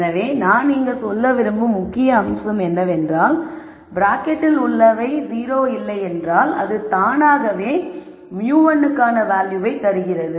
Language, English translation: Tamil, So, the key point that I want to make here is if we say whatever is in the bracket is not 0, then that automatically gives me the value for mu 1